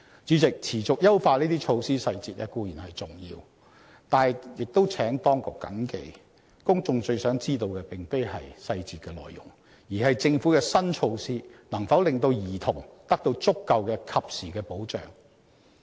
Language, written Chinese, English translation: Cantonese, 主席，持續優化這些措施細節固然重要，但亦請當局謹記，公眾最想知道的並非細節內容，而是政府的新措施能否令兒童得到足夠、及時的保障。, President it is certainly important to make persistent enhancements to specific measures . However the authorities should also bear in mind that the public is most eager to know not the details but whether the new measures of the Government can afford children adequate and timely protection